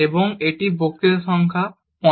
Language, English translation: Bengali, And this is lecture number 15